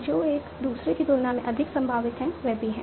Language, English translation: Hindi, So which one is more probable than other